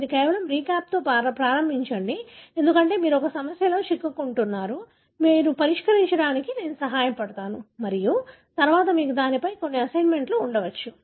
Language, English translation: Telugu, So, you start with just a recap, because you are getting into a problem that you, I would help you to solve and later you may have some assignments given on that